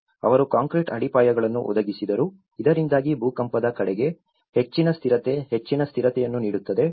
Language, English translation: Kannada, They provided the concrete foundations, so which can give more stability, greater stability towards the earthquake